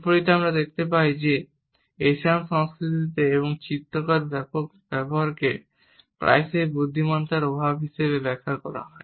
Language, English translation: Bengali, In contrast we find that in some Asian cultures and extensive use of illustrators is often interpreted as a lack of intelligence